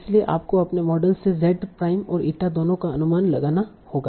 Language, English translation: Hindi, So you have to estimate both z prime and eta from your model